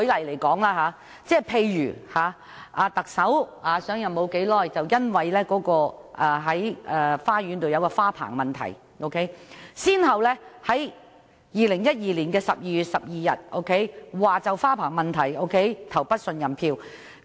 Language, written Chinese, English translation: Cantonese, 例如，特首上任不久已因家中花園的花棚問題，被反對派在2012年12月12日要求對其投不信任票。, For example soon after the Chief Executive took office the opposition camp moved a motion of no confidence on 12 December 2012 because of a trellis erected in the garden of his house